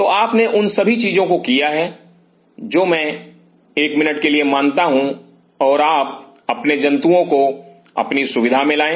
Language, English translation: Hindi, So, you have done all those things I assume for a minute and you bring your animal to your facility